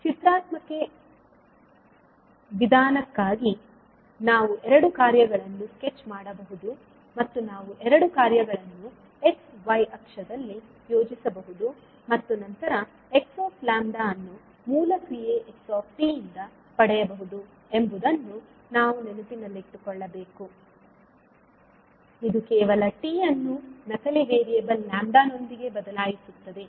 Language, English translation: Kannada, So for the graphical approach we have to keep in mind that we can sketch both of the functions and means we can plot both of the function on x y axis and then get the x lambda from the original function xt, this involves merely replacing t with a dummy variable lambda